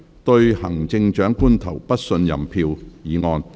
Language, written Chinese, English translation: Cantonese, "對行政長官投不信任票"議案。, Motion on Vote of no confidence in the Chief Executive